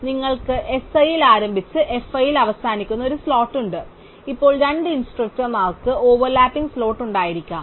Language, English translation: Malayalam, So, you have a slot which starts at s i and finishes at f i, now two instructors may have over lapping slot